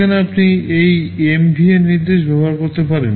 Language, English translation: Bengali, There you can use this MVN instruction